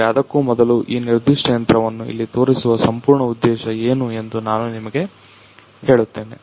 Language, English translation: Kannada, But before that let me just tell you that what is the whole purpose of showing this particular machine here